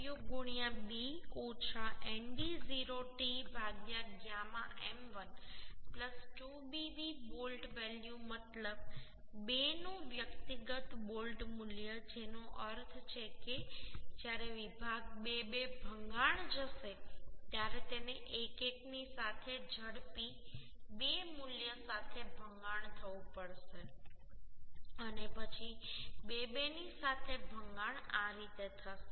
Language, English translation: Gujarati, 9fu into b minus nd0 t by gamma m1 plus 2Bv bolt value means individual bolt value of 2 that means when section 2 2 will fail it has to fail fast 2 value along means along 1 1 then the fail failure at along 2 2 So we will calculate 0